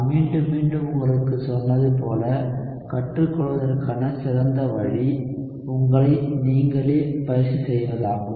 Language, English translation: Tamil, As I have told you again and again, the best way to learn is to practice yourself